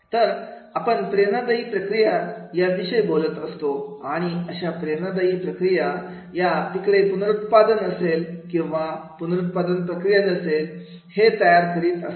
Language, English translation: Marathi, So whenever we talk about the motivational processes and these motivational processes that they are making whether the reproduction will be there and now the reproduction will process will be there